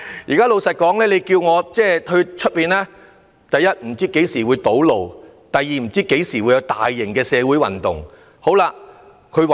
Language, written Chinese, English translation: Cantonese, 如果他要外出，會有顧慮：第一，不知何時會堵路；第二，不知何時會遇上大型社會運動。, And if they do they are going to have certain worries first they have no idea when they will run into road blockages; and secondly they are not sure when they will meet a major social movement